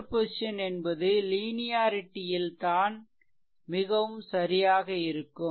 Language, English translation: Tamil, So, idea of superposition rests on the linearity property right